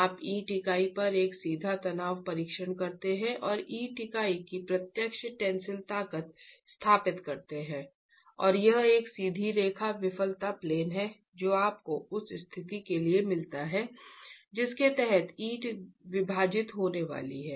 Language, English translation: Hindi, You do a direct tension test on the brick unit and establish the direct tensile strength of the brick unit and it's a straight line failure plane that you get for the condition under which the brick is going to split